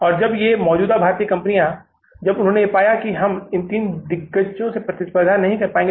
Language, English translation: Hindi, And when these existing Indian companies, when they also found that we will not be able to fight the competition from these three giants